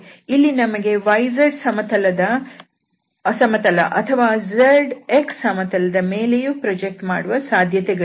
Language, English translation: Kannada, Here we have the possibility to project this plane on either y z plane or z x plane or x y plane